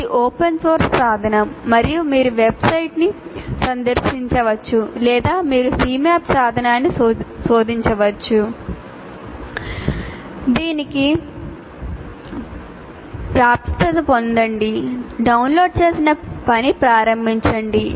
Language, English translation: Telugu, It's an open source tool and you can go to the same website or you just say CMAP tool and you can get access to that and download and start working